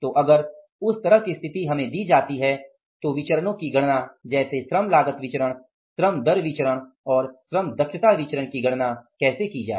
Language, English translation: Hindi, So, if that kind of the situation is given to us, how to calculate the variances, that is the labor cost variance, labor rate of pay variance and labor efficiency variance